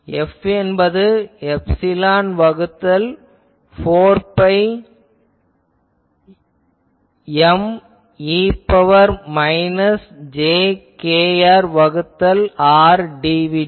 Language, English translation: Tamil, So, F will be epsilon by 4 pi v dashed M e to the power minus jkr by R dv dash